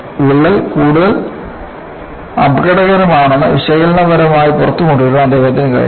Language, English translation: Malayalam, He was able to bring out analytically that crack is much more dangerous